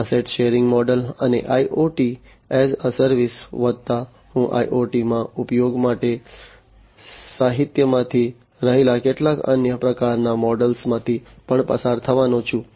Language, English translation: Gujarati, Asset sharing model, and IoT as a service plus I am also going to go through some of the other types of models that are there in the literature for use in IoT